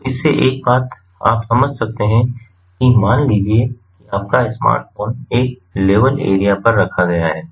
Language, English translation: Hindi, so one thing you can derive from this is suppose your smartphone is kept on a level area